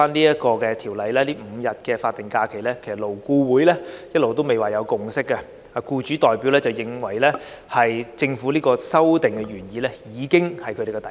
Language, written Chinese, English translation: Cantonese, 因此，就現在《條例草案》提出新增5天法定假日，勞顧會一直未有共識，當中僱主代表認為政府的修訂原意已是他們的底線。, Therefore regarding the present proposal of adding five days of SHs in the Bill LAB has yet to reach a consensus . The employer members in LAB consider that the original legislative amendments of the Government are their bottom line position